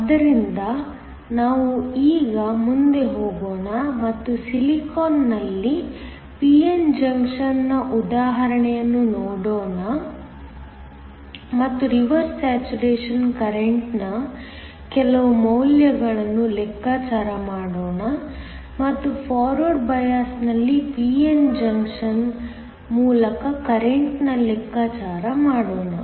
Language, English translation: Kannada, So, let us now go ahead and look at example of a p n junction in Silicon and calculate some values for the Reverse saturation current and also the current through the p n junction in forward bias